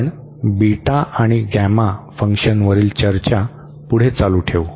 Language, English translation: Marathi, We will continue the discussion on Beta and Gamma Function